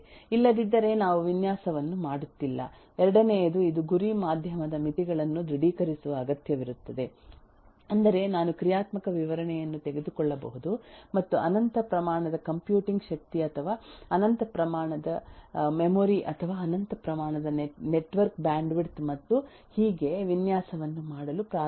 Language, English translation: Kannada, The second is it will need to confirm to the limitations of the target medium which means that I can take a functional specification and start doing a design assuming infinite amount of computing power or infinite amount of memory or infinite amount of eh network bandwidth and so on so forth that is not realistic